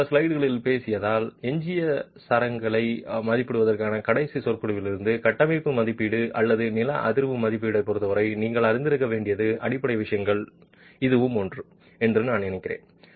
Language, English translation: Tamil, Having spoken of in the last few slides from the last lecture on estimating residual strengths and I think that's one of the fundamental things that you need to be aware of as far as structural assessment or seismic assessment is concerned